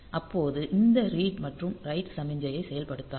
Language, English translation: Tamil, So, it will not activate this read and write signal